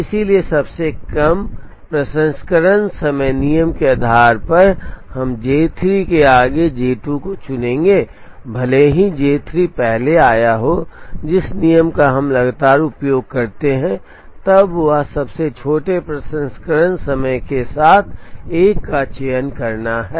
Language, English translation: Hindi, So, based on the shortest processing time rule, we would choose J 2 ahead of J 3 even though J 3 came earlier, the rule that we use consistently is to choose the one with the smallest processing time